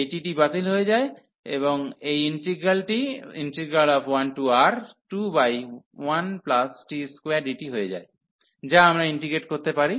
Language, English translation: Bengali, So, this t gets cancelled, and this integral becomes just 2 over 1 plus t square dt, which we can integrate